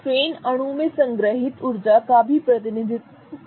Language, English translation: Hindi, Strain also represents the energy stored in the molecule